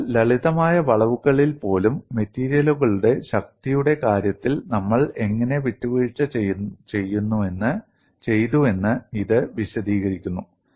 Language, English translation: Malayalam, So, this explains, even in simple bending, how we have compromised in the case of strength of materials